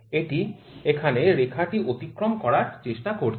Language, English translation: Bengali, It is trying to cross the line here